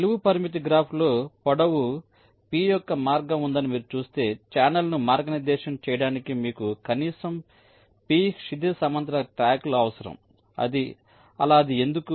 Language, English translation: Telugu, in a vertical constraint graph, if you see that there is a path of length p, then you will need at least p horizontal tracks to route the channel